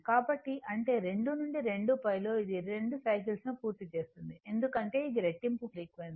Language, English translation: Telugu, So, that means, in 2 in 2 pi, it is completing 2 cycles because it is a double frequency